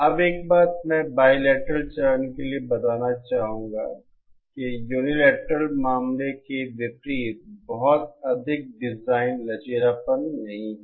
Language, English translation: Hindi, Now one thing I would like to state for the bilateral phase is that unlike the unilateral case there is not much design flexibility